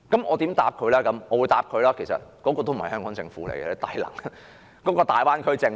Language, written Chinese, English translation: Cantonese, 我說："這個已不再是香港政府，而是大灣區政府。, I said It is no longer the Hong Kong Government but the Greater Bay Area Government